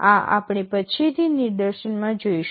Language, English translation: Gujarati, This we shall be seeing in the demonstration later